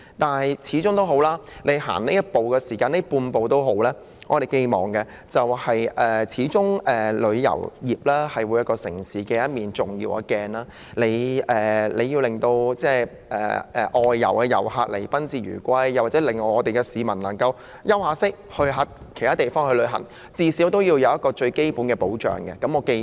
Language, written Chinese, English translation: Cantonese, 不過，無論如何，那管是一小步或半步，畢竟旅遊業是一個城市的重要鏡子，必須讓來港旅客有賓至如歸的感覺，並最少可以令往外地旅行稍作休息的市民獲得最基本的保障。, Anyhow regardless of whether it is one small step or just half a step the travel industry is after all an important mirror of a city . It is imperative to make visitors feel that Hong Kong is a home away from home and at least provide the most basic protection for Hong Kong people who travel abroad to take a short break